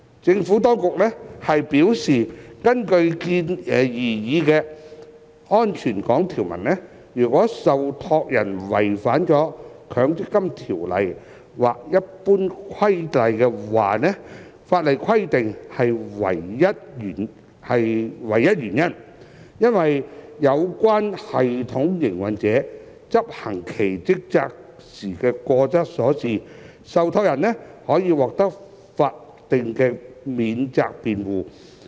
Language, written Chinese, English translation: Cantonese, 政府當局表示，根據擬議的"安全港"條文，如受託人違反《強制性公積金計劃條例》或《強制性公積金計劃規例》法定規定的唯一原因，是因有關系統營運者執行其職責時過失所致，受託人可獲法定免責辯護。, The Administration has advised that under the proposed safe harbour provisions trustees will be entitled to a statutory defence if their non - compliance with the statutory requirements under MPFSO or the Mandatory Provident Fund Schemes General Regulation is solely due to the failure of the system operator concerned to perform its duties